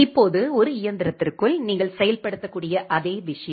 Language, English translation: Tamil, Now, the same thing you can implement inside a single machine